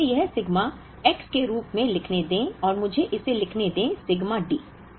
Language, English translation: Hindi, So, let me write this as sigma X and let me write this as sigma D